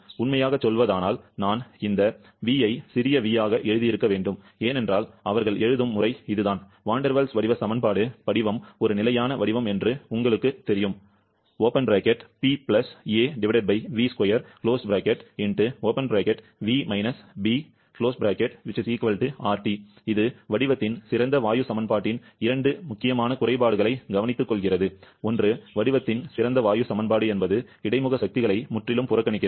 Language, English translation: Tamil, The first term of them that you already know the Van der Waals equation of state, truly speaking, I should have written this V to be small v because that is the way they write, the Van der Waals equation of state, you know the form is a standard format, it takes care of 2 important shortcomings of the ideal gas equation of state; one is ideal gas equation of state completely neglect the intermolecular forces